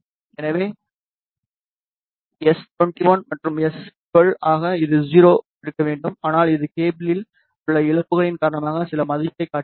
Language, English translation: Tamil, So, s 21 and s 12 ideally it should be 0, but it is showing some value which is because of the losses in the cable